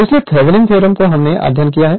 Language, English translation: Hindi, So, thevenins theorem we have studied